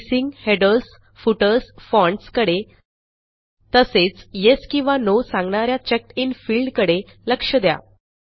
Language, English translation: Marathi, Notice the spacing, headers, footers, fonts And the CheckedIn field which says Yes or No